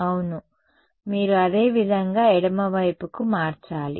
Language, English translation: Telugu, Yeah you similarly you have to change it for the left